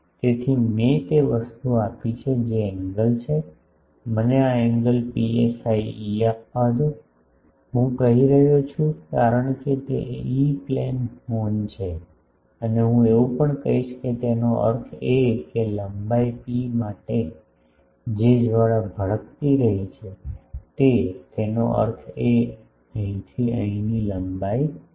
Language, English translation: Gujarati, So, I have given the thing the angle let me give this angle is psi E, I am saying because it is an E Plane horn and I will also say that; that means, the flaring that has taken place for an length P; that means, from here to hear the length is P